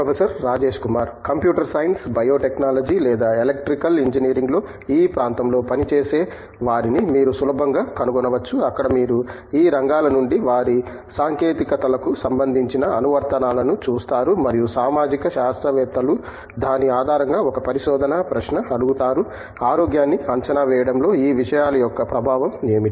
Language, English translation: Telugu, You can easily find someone working in this area in Computer science, Bio technology or Electrical engineering where you see their applications of technology from these areas and then social scientist's do make a research question based on that, whatÕs the impact of these things in assessment of health